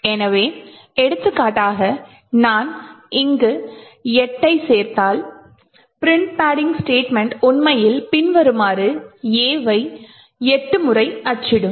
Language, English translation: Tamil, So for example if I add see 8 over here then print padding could actually print A 8 times as follows